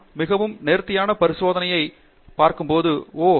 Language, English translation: Tamil, When we see a very elegant experiment we say, oh wow